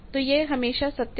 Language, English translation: Hindi, So, this is always true